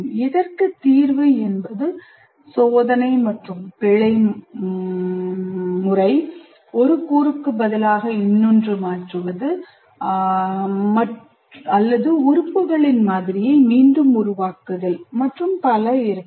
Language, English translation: Tamil, The solution may be by trial and error or replacement of one component by another or I completely re what you call create my models of the elements and so on